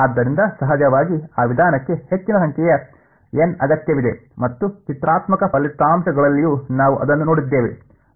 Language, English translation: Kannada, So, of course, that is enough approach need large number of N and we saw that in the graphical results also